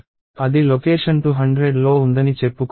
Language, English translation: Telugu, Let us say that is at location 200